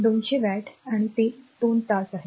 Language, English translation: Marathi, So, 200 watt and it is for 2 hour